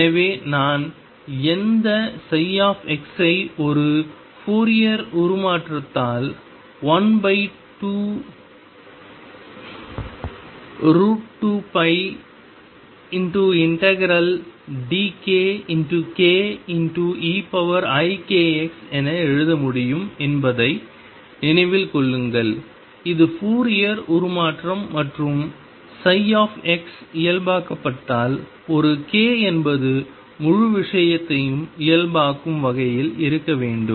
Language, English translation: Tamil, So, recall I can write any psi x in a Fourier transformation as integration d k a k e raise to i k x over square root of 2 pi this is the Fourier transformation and if psi x is normalized then a k should be such that they normalize the whole thing